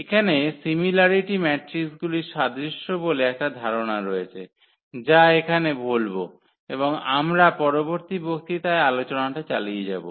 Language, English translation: Bengali, There is a concept here the similarity of matrices which will introduce here and we will continue for the discussion in the next lecture